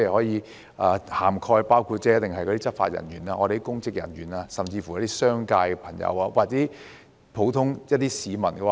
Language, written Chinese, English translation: Cantonese, 有關法例可涵蓋執法人員、公職人員，甚至商界朋友或普通市民。, Such legislation may cover law enforcement officers public officers or even people in business sectors or members of the public